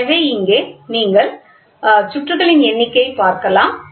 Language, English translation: Tamil, So, here if you see that is number of turns will be there